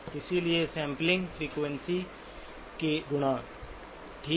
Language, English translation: Hindi, So therefore, multiples of the sampling frequency, okay